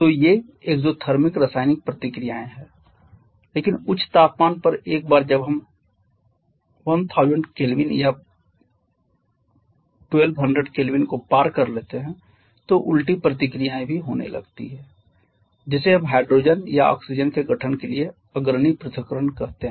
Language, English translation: Hindi, So, this is an exothermic chemical reaction but at higher temperatures once we cross 1000 Kelvin or 1200 Kelvin then the reverse reactions also starts to happen which we call the dissociation leading to the formation of hydrogen and oxygen